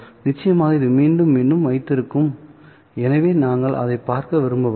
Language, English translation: Tamil, Of course, this will again keep repeating, so we don't really want to look at that